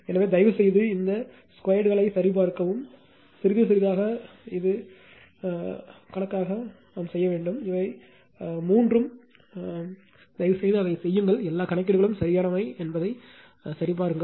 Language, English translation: Tamil, So, please check all these squares then by little bit it will be calculation all these three please do it of your own right, see that all calculations are correct